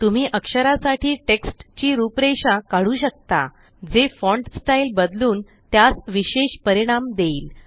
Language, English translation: Marathi, You can format text for Character, that is change font styles and give special effects to fonts